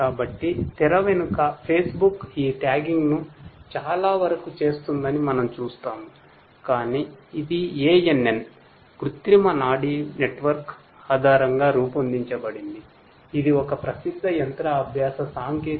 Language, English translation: Telugu, So, you know behind the scene we see that Facebook basically does lot of these tagging, but that is based on ANN – artificial neural network which is a popular machine learning technique